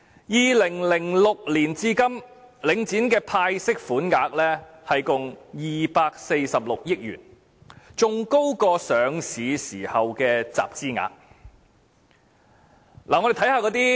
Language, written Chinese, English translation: Cantonese, 2006年至今，領展的派息款額共246億元，較上市時的集資額還要高。, Since 2006 dividend distribution by Link REIT has totalled 24.6 billion which is even higher than the funds raised upon its listing